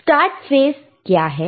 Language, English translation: Hindi, What is the start phase